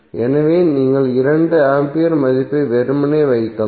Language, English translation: Tamil, So you can simply put the value of 2 ampere